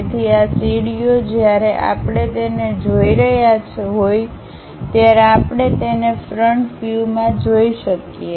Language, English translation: Gujarati, So, these stairs, we can see it in the front view when we are looking at it